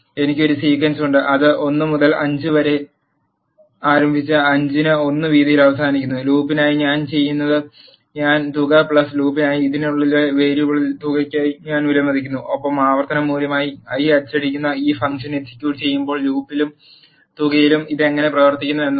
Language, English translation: Malayalam, I am having a sequence which is starting from 1 and then ending at 5 with a width of 1, what I am doing inside the for loop is I am assigning sum plus i value to the variable sum inside this for loop and I am printing the i which is the iter value in the loop and the sum when you execute this function this is how it behaves